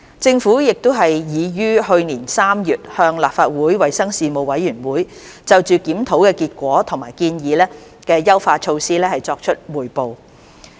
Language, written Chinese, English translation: Cantonese, 政府已於去年3月向立法會衞生事務委員會就檢討的結果及建議的優化措施作出匯報。, The Government had briefed the Legislative Council Panel on Health Services on the review findings and the proposed enhancement measures in March last year